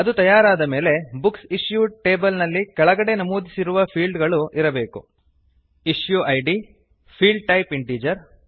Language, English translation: Kannada, When done, the Books Issued table will have the following fields: Issue Id, Field type Integer